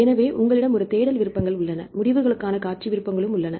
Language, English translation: Tamil, So, you have a search options and we have the display options and we have to get the results